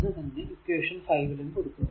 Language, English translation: Malayalam, So, this is equation 5, right